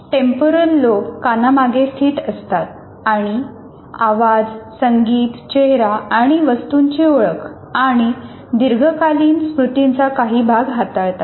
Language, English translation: Marathi, Temporal lobes are located behind the ears and deal with sound, music, face and object recognition and some parts of the long term memory